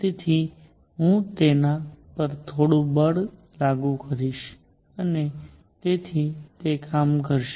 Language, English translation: Gujarati, So, I will be applying some force on it and therefore, it does work